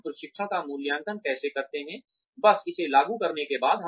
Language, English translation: Hindi, How do we evaluate training, just after it has been imparted